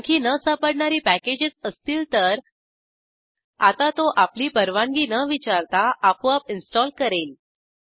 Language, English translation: Marathi, Now if there are any more missing packages, it will automatically install it, without asking for your permission